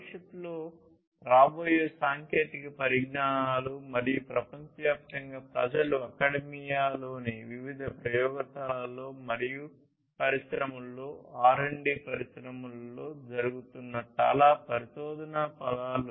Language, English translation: Telugu, Technologies that are going to come in the future and people you know worldwide there are lot of research words that are going on in different labs in the academia and in the industries R & D industries